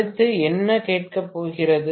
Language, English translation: Tamil, what is being asked next